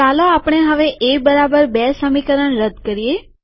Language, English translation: Gujarati, Let us now delete the A equals B equation